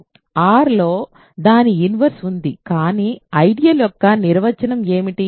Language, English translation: Telugu, So, we have its inverse in R, but what is the definition of an ideal